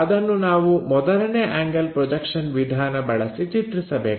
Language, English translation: Kannada, That we have to represent by first angle projection technique